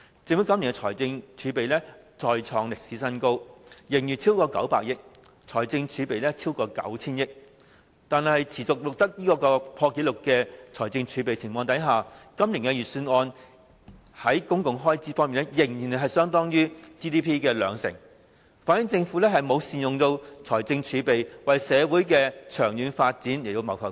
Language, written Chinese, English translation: Cantonese, 政府今年的財政儲備再創歷史新高，盈餘超過900億元，財政儲備超過 9,000 億元，但在財政儲備持續破紀錄的情況下，今年預算案作出的公共開支預算仍然只佔 GDP 的兩成，反映政府沒有善用財政儲備，為社會的長遠發展謀幸福。, The fiscal reserves of the Government once again reach a record high this year . The surpluses are over 90 billion and the fiscal reserves amount to 900 billion . Yet despite such record - breaking fiscal reserves the public expenditure estimates in the Budget this year continue to account for only 20 % of our GDP showing that the Government has failed to make optimal use of its fiscal reserves to benefit the long - term development of our society